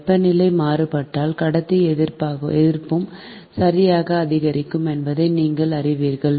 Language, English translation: Tamil, if you know that if temperature varies then conductor resistance also will increase